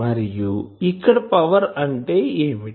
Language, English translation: Telugu, And what is the power here